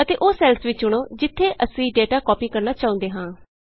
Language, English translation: Punjabi, Also select the cells where we want to copy the data